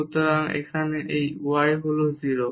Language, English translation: Bengali, So, here this y is 0